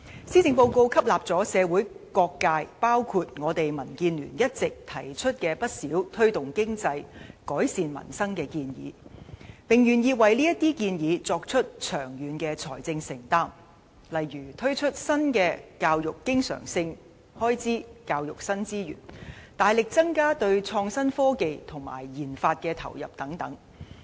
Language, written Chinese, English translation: Cantonese, 施政報告吸納了社會各界一直提出的推動經濟、改善民生的不少建議，並願意為這些建議作出長遠的財政承擔，例如增加教育經常性開支和提供教育新資源、大幅增加對創新科技及研發的投入等。, The Policy Address has incorporated many proposals made by various sectors of the community including DAB on promoting the economy and improving peoples livelihood . The Government is also willing to make long - term financial commitments for these proposals such as increasing recurrent education expenditure and providing new education resources substantially investing in innovation and technology as well as research and development